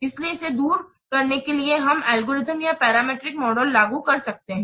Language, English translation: Hindi, So, in order to overcome this we may apply algorithmic or parametric models